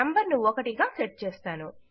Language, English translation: Telugu, Ive got the number set to 1